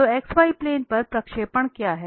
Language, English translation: Hindi, So, what is the projection on the x y plane